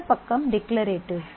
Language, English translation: Tamil, And this side is declarative